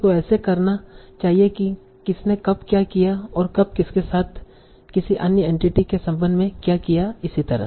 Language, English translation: Hindi, So question like who did what, to whom, when, and who is in what relation to some other entity and so on